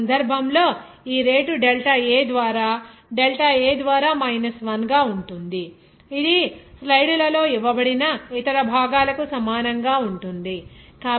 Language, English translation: Telugu, Here in this case, this rate will be here minus 1 by a delta A by delta t that will be is equal to similarly for other components here like this given in the slides